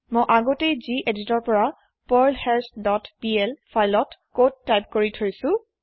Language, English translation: Assamese, I have already typed the code in perlHash dot pl file in gedit